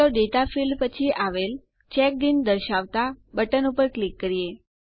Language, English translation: Gujarati, Let us click on the button next to the Data field that says CheckedIn